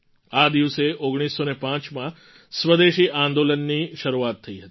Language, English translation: Gujarati, On this very day in 1905, the Swadeshi Andolan had begun